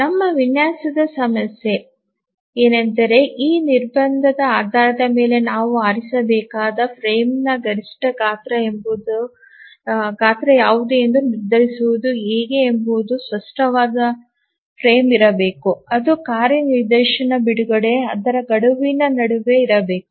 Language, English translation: Kannada, So, now our design problem is that how to decide which is the minimum size of the frame, sorry, which is the maximum size of the frame that we must choose based on this constraint that there must be a clear frame which must exist between the release of a task instance and its deadline